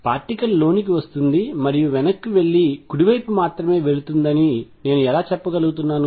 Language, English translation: Telugu, How come I am only saying that particle has coming in going back and then going only to the right